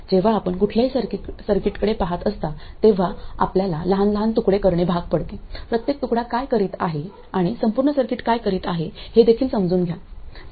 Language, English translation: Marathi, When you look at any circuit you have to kind of break it down into smaller pieces, understand what each piece is doing and also what the entire circuit is doing